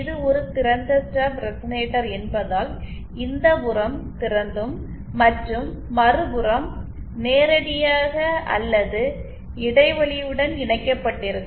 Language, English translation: Tamil, Since it is an open stub resonator it has to have this open and the other end it can be either directly connected or gap coupled